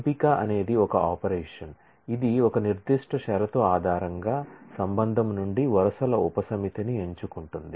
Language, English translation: Telugu, Select is an operation, which chooses a subset of rows from a relation based on a certain condition